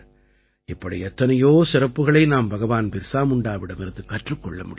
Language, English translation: Tamil, There is so much that we can learn from Dharti Aba Birsa Munda